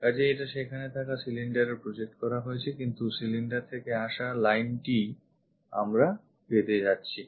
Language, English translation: Bengali, So, this one projected to the cylinder there, but this one from the cylinder line what we are going to get